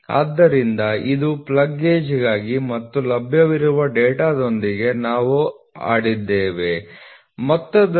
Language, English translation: Kannada, So, this is for plug gauge and we have just played with the data which is available in the sum 25